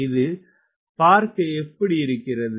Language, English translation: Tamil, how should it look like